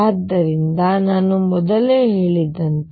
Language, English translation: Kannada, So, this as I said earlier